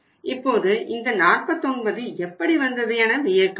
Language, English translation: Tamil, Now you must be wondering how this 49 has been found out right